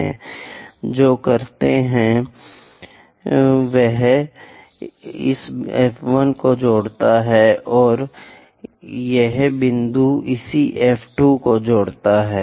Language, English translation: Hindi, What we do is connect this F 1 and this point similarly construct connect this F 2